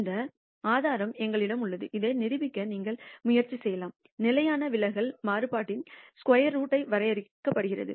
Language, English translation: Tamil, This proof is left to you, you can actually try to prove this; the standard deviation is defined as the square root of the variance